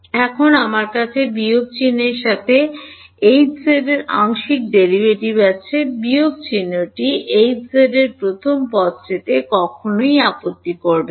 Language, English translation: Bengali, Now I have partial derivative of h with respect to x with the minus sign never mind the minus sign H z first term